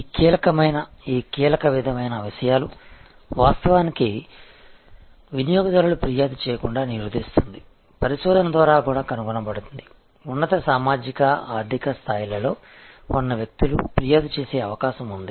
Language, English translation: Telugu, This key sort of things actually prohibits the deters the customer from complaining, it is also found through research, that people who are in the higher socio economic stata, they are more likely to complaint